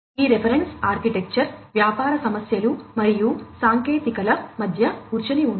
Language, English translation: Telugu, So, it is basically this reference architecture is sitting between the business issues and the technicalities